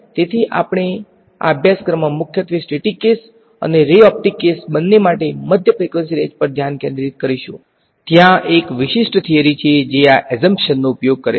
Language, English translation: Gujarati, So, we will be focusing in this course mostly on the mid frequency range for both the statics case and the ray optics case, there is a specialized theory which makes use of this assumption